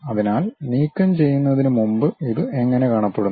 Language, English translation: Malayalam, So, before removal, how it looks like